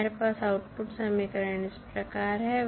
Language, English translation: Hindi, So, what is the output equation